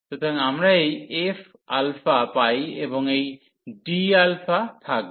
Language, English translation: Bengali, So, we get this f alpha and this d delta alpha will be there